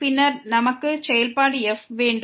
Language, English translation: Tamil, So now, for the function we have used